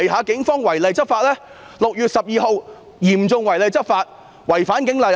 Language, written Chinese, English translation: Cantonese, 警方於6月12日嚴重違例執法，違反《警察通例》。, The Police have seriously violated the laws by breaching the Police General Orders PGO in the course of law enforcement on 12 June